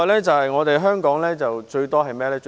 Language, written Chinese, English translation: Cantonese, 此外，香港最多的是甚麼？, Moreover what does Hong Kong abound in?